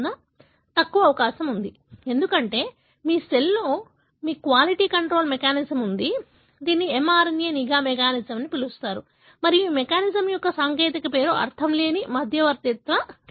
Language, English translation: Telugu, So, less likely, because in your cell, you have a quality control mechanism, which is called as mRNA surveillance mechanism and the technical name for this mechanism is nonsense mediated decay